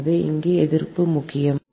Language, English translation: Tamil, so resistance here are important